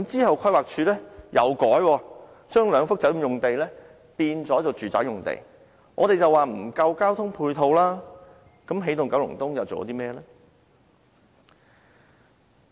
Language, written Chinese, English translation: Cantonese, 後來規劃署改動，將兩幅酒店用地改為住宅用地，我們指出交通配套不足，起動九龍東又做過甚麼呢？, Later the Planning Department changed the use of the two hotel sites into residential sites . We pointed out the inadequacy of transport and ancillary facilities but what has EKEO done?